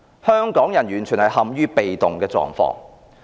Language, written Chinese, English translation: Cantonese, 香港人完全陷於被動。, Hong Kong people are totally passive